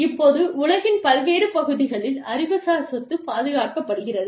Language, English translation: Tamil, Now, how intellectual property is protected, in different parts of the world